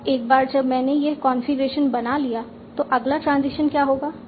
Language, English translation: Hindi, Now once I am at this configuration, what is the next transition I will take